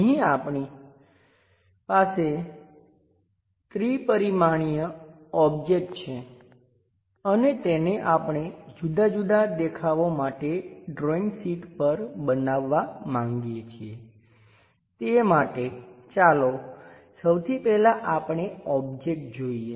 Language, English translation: Gujarati, Here, we have a 3 dimensional object and this we would like to produce it on the drawing sheet for different views, to do that first of all let us look at the object